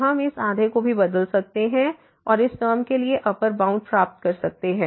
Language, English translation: Hindi, So, we can replace this half also and get the upper bound for this term